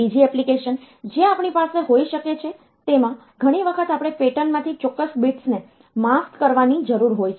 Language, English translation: Gujarati, Another application that we can have is many times we need to mask out certain bits from them from a pattern